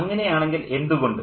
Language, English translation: Malayalam, So, if so, why